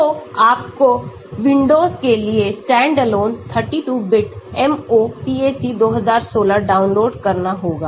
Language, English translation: Hindi, so you have to download standalone 32 bit MOPAC2016 for Windows